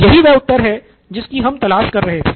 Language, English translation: Hindi, So this is the answer we were looking for